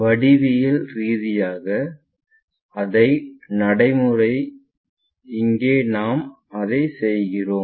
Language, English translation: Tamil, The same procedure geometrically here we are doing it in that way